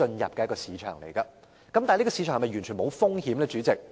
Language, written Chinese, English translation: Cantonese, 然而，主席，這個行業是否完全零風險？, However President is this industry totally risk - free?